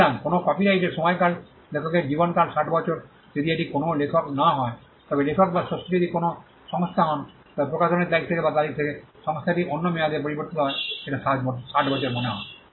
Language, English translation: Bengali, So, the duration of a copyright is life of the author plus 60 years, if it is not an author if the author or the creator is an institution then the institution from the date of the publication or from the date is varies for another term I think it is 60 years